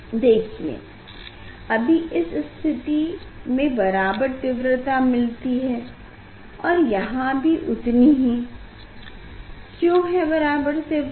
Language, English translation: Hindi, now I am at this situation, so this situation is of equal intensity, this situation is equal in intensity, why equal intensity